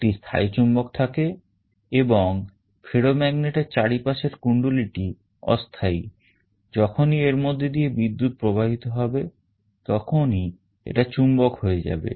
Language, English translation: Bengali, There is a permanent magnet and the coil around the ferromagnet is movable, whenever there is a current flowing this will become a magnet